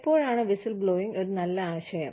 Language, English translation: Malayalam, When is whistleblowing a good idea